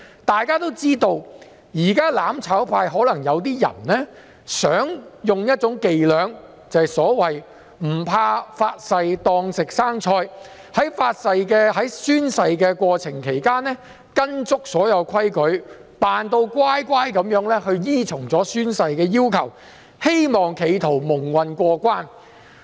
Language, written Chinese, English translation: Cantonese, 大家都知道，"攬炒派"的某些人可能想利用"發誓當食生菜"的伎倆，在宣誓時完全依照規矩，"扮乖乖"依循宣誓要求，企圖蒙混過關。, As we all know some people from the mutual destruction camp may play dirty by making easy promises pretending to be well - behaved at the time of oath - taking and following all the rules and oath - taking requirements to muddle through